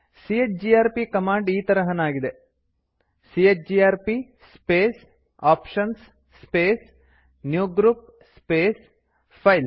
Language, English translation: Kannada, The syntax for the chgrp command is chgrp space [options] space newgroup space files